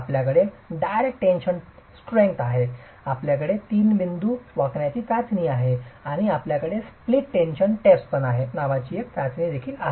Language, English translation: Marathi, You have the direct tension test, you have the three point bending test and you also have another test called the split tension test